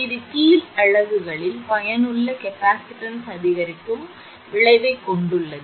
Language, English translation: Tamil, This has the effect of increasing the effective capacitance of bottom units